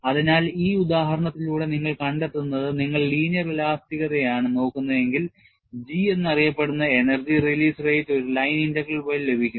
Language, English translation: Malayalam, So, with this example, what you find is, if you are looking at linear elasticity, the energy release rate which is known as G there, is obtained by a line integral